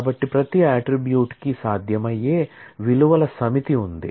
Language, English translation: Telugu, So, for every attribute, I have a set of values that are possible